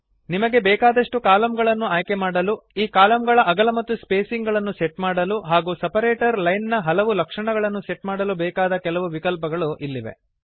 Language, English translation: Kannada, A dialog box appears with various options selecting the number of columns you want, setting the width and spacing of these columns as well as setting the various properties of the separator lines